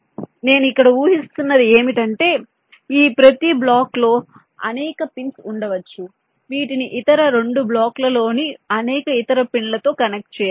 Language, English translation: Telugu, so what i here assume is that in each of these blocks there can be several pins which need to be connected to several other pins in other two blocks